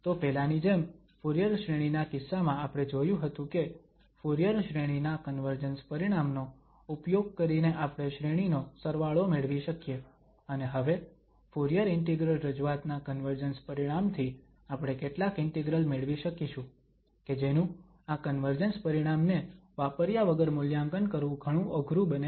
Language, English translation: Gujarati, So, like earlier in case of the Fourier series, we have noticed that we could get the sum of the series using that convergence result of the Fourier series and now with the convergence result of this Fourier Integral representation, we will be able to find some integrals which may be very difficult to evaluate without using this convergence result